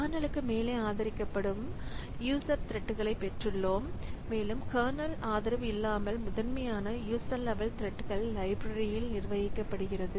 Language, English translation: Tamil, So, we have got user threads that are supported above the kernel and are managed without kernel support primarily by user level threads libraries